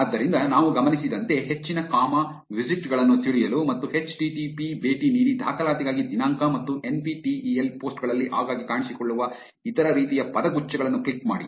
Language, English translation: Kannada, So, like we noticed to know more comma visit and visit http click on the date for enrollment and other similar phrases which are appearing very frequently in NPTEL posts